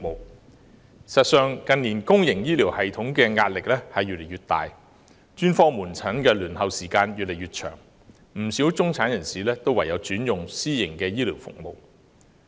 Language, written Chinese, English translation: Cantonese, 事實上，近年公營醫療系統的壓力越來越大，專科門診的輪候時間越來越長，不少中產人士唯有轉用私營醫療服務。, In fact with the mounting pressure on the public health care system and increasingly longer waiting time for specialist outpatient services in recent years quite a number of middle - class people have no alternative but to switch to private health care services